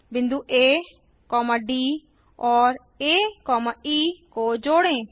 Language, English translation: Hindi, Join points A, D and A, E